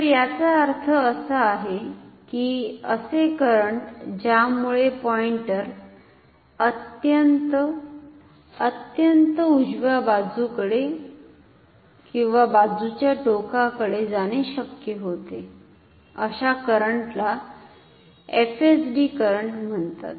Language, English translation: Marathi, So, by this we mean the current that will cause the pointer to move to the extreme; extreme; extreme right hand side extreme position so, that current is called the FSD current